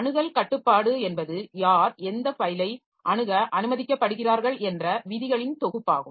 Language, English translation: Tamil, So, access control is a set of rules that will say like who is allowed to access which file